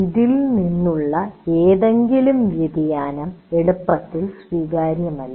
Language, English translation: Malayalam, So any deviation from this is not easily acceptable